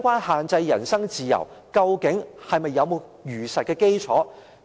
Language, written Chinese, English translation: Cantonese, 限制人身自由，究竟有否事實基礎？, Does the restriction on his personal freedom have any factual basis?